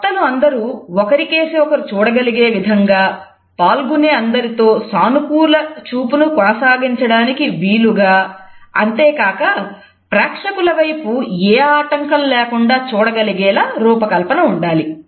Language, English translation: Telugu, It should be designed in such a way that all these speakers are able to look at each other maintain a positive eye contact with every other participant in the panel as well as they have an unobstructed eye contact with the audience also